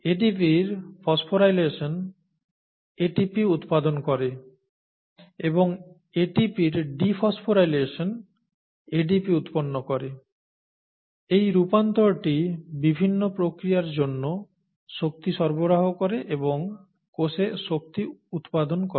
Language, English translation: Bengali, Phosphorylation of ADP yields ATP, and dephosphorylation of ATP yields ADP and it is this dance that provides the energy for various things and also makes the energy currency in the cell